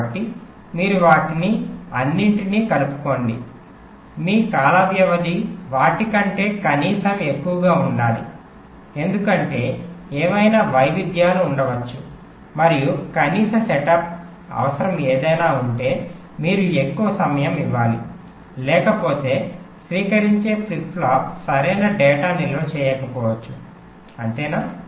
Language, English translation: Telugu, your time period should be at least greater than that, because whatever variations can be there and whatever minimum setup requirement is there, you must provide that much time, otherwise the correct data may not get stored in the receiving flip flop, right, ok